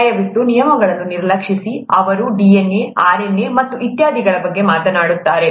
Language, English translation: Kannada, Please ignore the terms, they’ll talk of DNA, RNA and so on and so forth